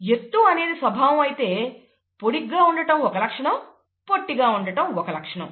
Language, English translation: Telugu, If height of something is a character, then tall is a trait and short is another trait, and so on